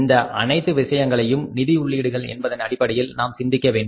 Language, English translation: Tamil, We will have to think about all these costs in terms of the financial inputs